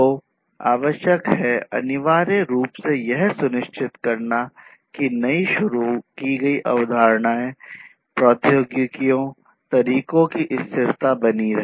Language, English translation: Hindi, So, what is required essentially is to ensure that the sustainability of the newly introduced concepts technologies methods etc etc continue